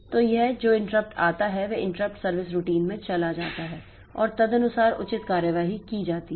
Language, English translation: Hindi, So, this interrupt that comes, it goes to the interrupt service routine and accordingly the appropriate action is taken